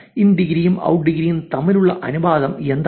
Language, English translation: Malayalam, What is the ratio of in degree versus out degree